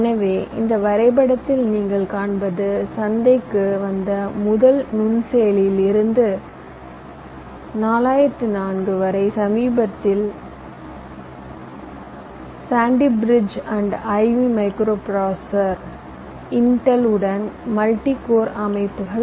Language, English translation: Tamil, so you can see in this graph that he of from the first micro processor that came to the market, it is here four, zero, zero, four, up to the latest sandy i v micro processor, multi code systems, which intel is coming up with